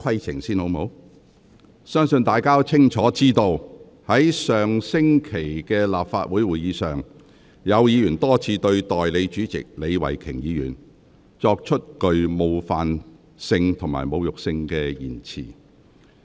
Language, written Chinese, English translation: Cantonese, 相信大家都清楚知道，在上星期的立法會會議上，有議員多次向代理主席李慧琼議員說出具冒犯性及侮辱性的言詞。, I believe you are fully aware that at the Council meeting held last week some Members repeatedly used offensive and insulting language about Deputy President Ms Starry LEE